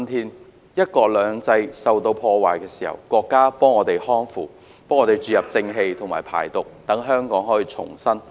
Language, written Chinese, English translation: Cantonese, 當"一國兩制"遭到破壞時，國家給我們匡扶、注入正氣及排毒，讓香港得以重生。, When the principle of one country two systems was violated the country has rectified all irregularities set things right and removed all evil elements for us thereby ensuring the rebirth of Hong Kong